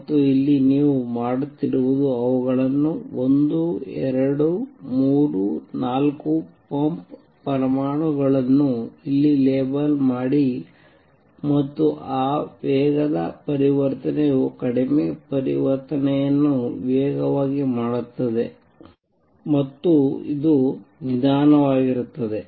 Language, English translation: Kannada, And what you do here is label them 1 2, 3, 4 pump atoms here and make this fast transition make lower transition fast and this is slow